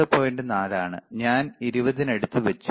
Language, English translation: Malayalam, 4, I have kept around 20, right